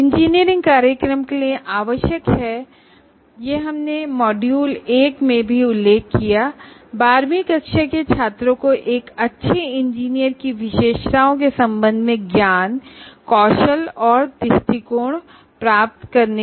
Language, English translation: Hindi, And engineering programs are required to impart, this we have mentioned already in module one, impart knowledge, skills and attitudes, and to facilitate the graduates of 12 standard to acquire the characteristics of a good engineer